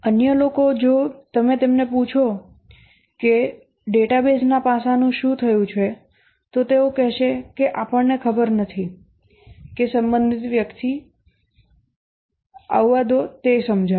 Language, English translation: Gujarati, The others, if you ask them that what happened to the database aspect, then they may say that we don't know, let the corresponding person come, he will explain